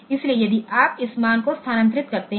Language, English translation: Hindi, So, if you move this value